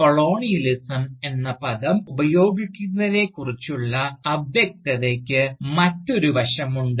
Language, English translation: Malayalam, Now, the vagueness surrounding the use of the term Colonialism, has also another aspect to it